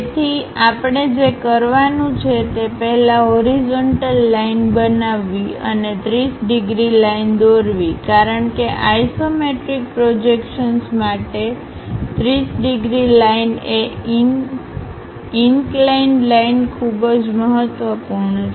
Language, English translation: Gujarati, So, to do that what we have to do is first construct a horizontal line and draw a 30 degrees line because for isometric projections 30 degrees line is inclination line is very important